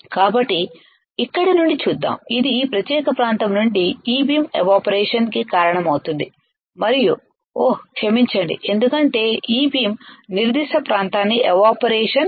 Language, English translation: Telugu, So, let us let us see from here it will cause E beam from this particular area and it will oh sorry because E beam evaporation the particular area